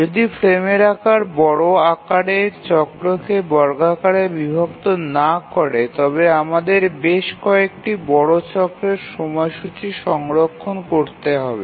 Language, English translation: Bengali, If the frame size does not squarely divide the major cycle, then we have to store the schedule for several major cycles